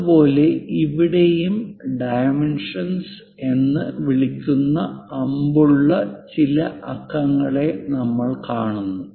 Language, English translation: Malayalam, Similarly, here also we are showing some numerals with arrows those are called dimension